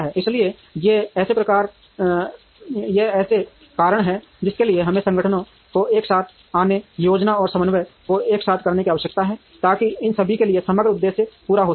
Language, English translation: Hindi, So, these are reasons for which we need organizations to come together, to do the planning and coordination together, so that the overall objective is met for all of them